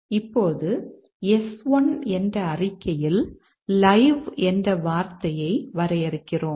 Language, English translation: Tamil, Now, we define the term live at a statement S1